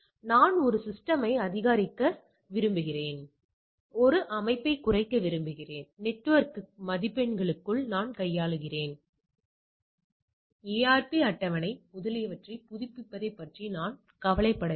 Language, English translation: Tamil, So, what it becomes say I want to increase a system, decrease a system, so long I am handling within the network marks, I do not bothered about updating the ARP table etcetera